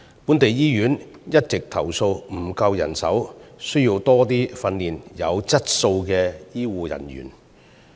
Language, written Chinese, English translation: Cantonese, 本地醫院一直投訴沒有足夠人手，需要訓練更多有質素的醫護人員。, Local hospitals have constantly complained about the shortage of manpower and expressed the need to train more high - quality healthcare personnel